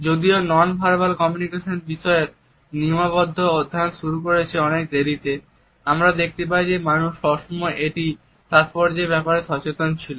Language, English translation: Bengali, Even though the codified studies of nonverbal aspects of communication is started much later we find that mankind has always been aware of its significance